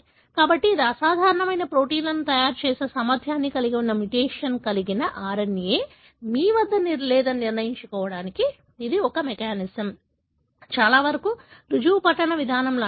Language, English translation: Telugu, So, this is a mechanism, a pretty much like a proof reading mechanism to make sure that you do not have RNA that have a mutation, which has the potential to make abnormal proteins